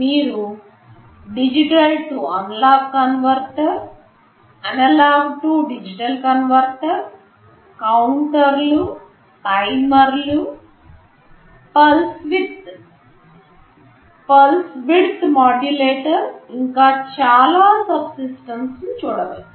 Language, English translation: Telugu, You can see a digital to analog converter, you can see analog to digital converter, counters, timers, pulse width modulator, so many subsystems